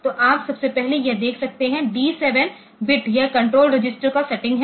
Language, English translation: Hindi, So, you can see first of all this D 7 bit this is the controller register setting